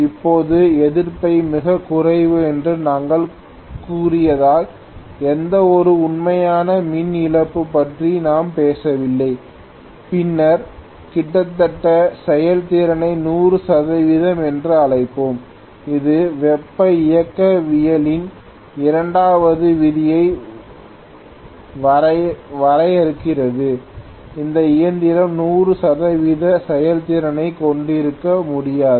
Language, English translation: Tamil, Now because we said resistance is negligible there is hardly any real power loss that we are talking about then we will call almost the efficiency to be 100 percent, which defines the second law of thermodynamics, no machine can have 100 percent efficiency